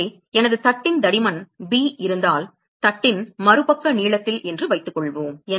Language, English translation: Tamil, So, suppose if I have the thickness of my plate is b on the other side length of the plate